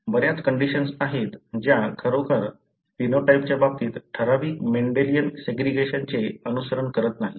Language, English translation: Marathi, There are many conditions that really do not follow the typical Mendelian segregation in terms of phenotype